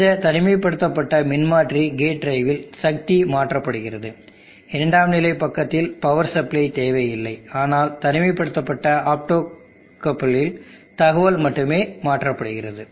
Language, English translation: Tamil, In the transformer isolated gate drive the power is transferred there is no need for a power supply in the secondary side, but in an optocoupled isolation only the information is transferred